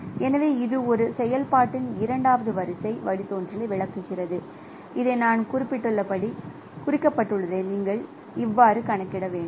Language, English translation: Tamil, So, this is just explaining that second order derivative of a function what I just have mentioned